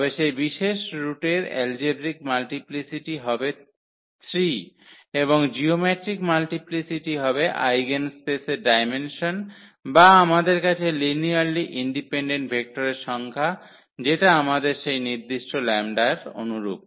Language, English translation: Bengali, So, then it is algebraic multiplicity of that particular root is 3 and the geometric multiplicity will be the dimension of the eigenspace or the number of linearly independent vectors we have corresponding to that particular eigenvalue lambda